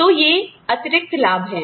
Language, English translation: Hindi, So, these are the added benefits